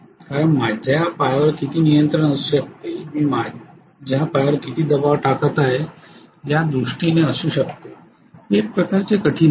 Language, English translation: Marathi, Because how much of control my leg can have, foot can have in terms of how much of pressing I am doing, it is kind of difficult